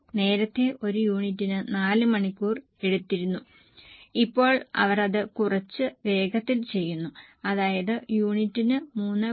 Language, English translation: Malayalam, Earlier they were taking 4 hours for one unit, now they are doing it bit faster